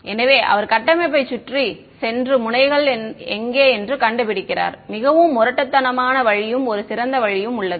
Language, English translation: Tamil, So, he is saying go around the structure and find out where the nodes are that is a very crude way is there a smarter way